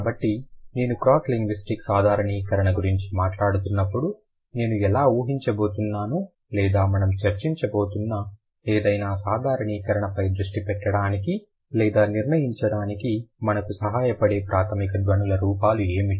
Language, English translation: Telugu, So, when I'm talking about cross linguistic generalization, how I'm going to assume, what are the basic phonological forms that help us to decide or to focus on any given generalization that we are going to discuss